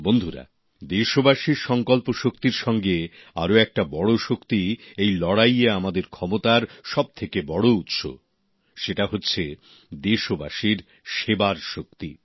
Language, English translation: Bengali, in this fight, besides the resolve of our countrymen, the other biggest strength is their spirit of service